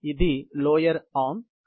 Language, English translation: Telugu, This is the lower arm